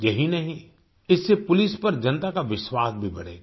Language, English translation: Hindi, Not just that, it will also increase public confidence in the police